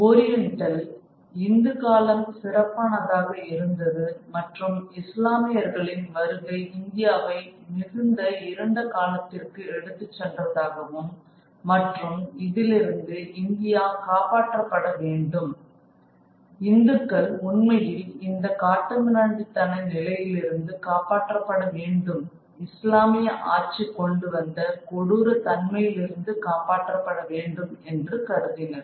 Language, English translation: Tamil, The Orientalist felt that the Hindu period was glorious and it is the coming of Islam that led India into a very dark period and India had to be rescued from this, the Hindus really had to be rescued from this position of barbarism which and tyranny that the Muslim rule has brought about